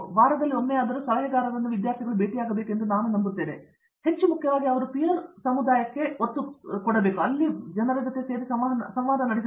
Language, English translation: Kannada, So, we believe once in a week is something, but what we stress on more importantly is their peer interaction